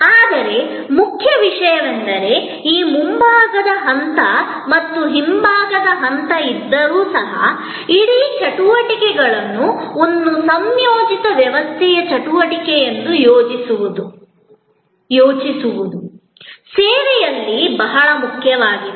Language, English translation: Kannada, But, important point is, that even though there is this front stage and the back stage, it is in service very important to think of the whole set of activities as one integrated system activity